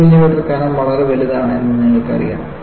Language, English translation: Malayalam, 15 millimeter thick is very very large